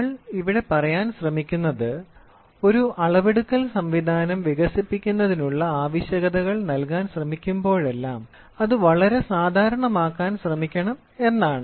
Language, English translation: Malayalam, So, what we are trying to say here is whenever we try to give requirements for developing a measuring system we should try to may get very generic